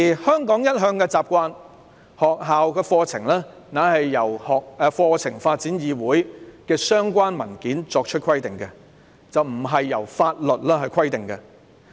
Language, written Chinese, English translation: Cantonese, 香港一向的習慣是，學校課程是由香港課程發展議會的相關文件規定，並非由法律規定。, According to the usual practice in Hong Kong curriculums are bound by the relevant papers of the Hong Kong Curriculum Development Council rather than the law